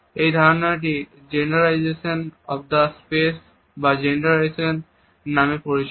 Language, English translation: Bengali, This idea is known as genderization of the space or space genderization